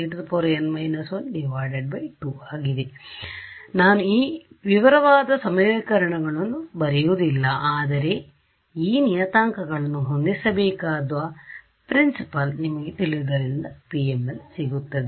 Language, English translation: Kannada, So, I am not going to write down those very detailed equation, but you know the principle now I have to set these s parameters and I get my PML ok